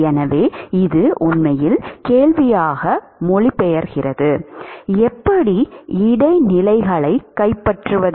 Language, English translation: Tamil, So, this really translates into question, how to capture the transients